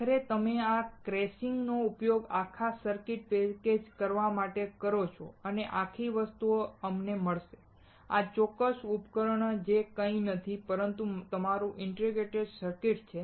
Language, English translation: Gujarati, And finally, you use this casing for pack packaging the entire circuit and this whole thing will get us, this particular device that is nothing, but your integrated circuit